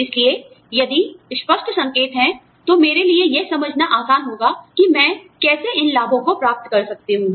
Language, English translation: Hindi, So, if there are clear pointers, it will be easy for me, to understand how I can, get these benefits